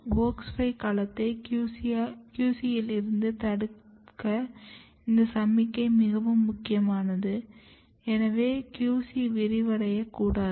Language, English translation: Tamil, And then this signalling is very important to restrict the domain of WOX5 to QC, so QC should not expand